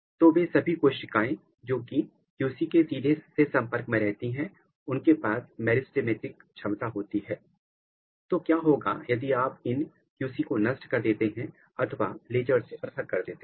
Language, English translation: Hindi, So, all the cells which are directly in contact with QC they have meristemetic capability and what happens if you kill this QC or if you laser ablate this QC what was observed that